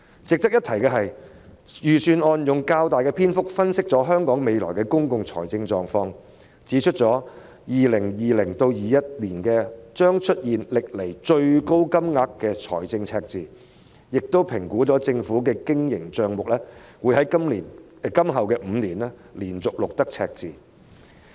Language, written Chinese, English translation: Cantonese, 值得一提的是，預算案用了較大篇幅分析香港未來的公共財政狀況，指出香港將會在 2020-2021 年度出現歷來最大的財政赤字，並評估了政府的經營帳目將會自今年起連續5年錄得赤字。, It is noteworthy that the Budget devotes quite a number of chapters to analyse the public finances of Hong Kong in the future saying that Hong Kong will see the largest budget deficit in 2020 - 2021 and the Operating Account of the Government is expected to record a deficit for five consecutive years starting from this year